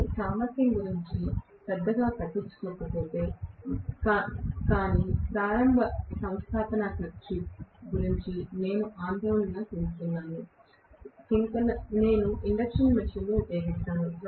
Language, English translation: Telugu, But if I do not care soo much about the efficiency, but I am worried about the initial installation cost, I will rather employ induction machine